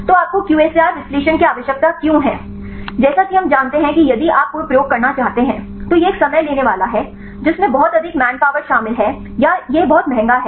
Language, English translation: Hindi, So, why do you need the QSAR analysis right as we know if you want to do any experiments, it is a time consuming involves lot of man power or also it is very expensive